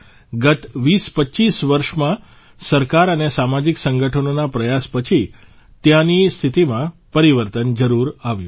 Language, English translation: Gujarati, During the last 2025 years, after the efforts of the government and social organizations, the situation there has definitely changed